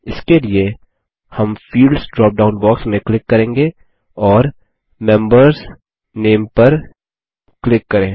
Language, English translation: Hindi, For this, we will click on the Fields drop down box and then click on Members.Name